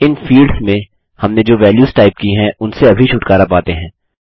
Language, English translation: Hindi, Let us just get rid of these values in these fields that weve typed